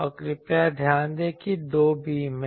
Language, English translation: Hindi, And please note that there are two beams